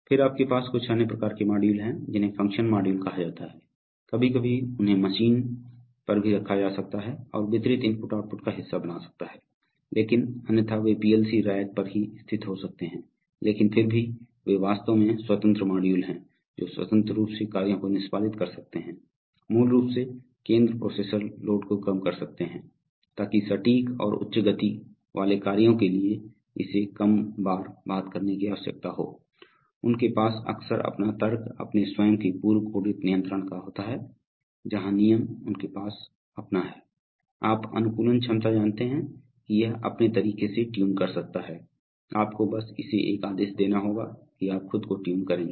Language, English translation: Hindi, Then you have some other kinds of modules called function modules, these are also, these are not, sometimes they could also be mounted on the machine and make part of a distributed I/O but otherwise they may be situated on the PLC rack itself but still they are actually independent modules that can execute tasks independently, so basically reducing the center processor load, so that it needs to talk to it less often, for precision and high speed tasks and they often have their own logic their own pre coded control laws, they have their own, you know optimizing abilities it might tune its own way, you just have to give it a command that you tune yourself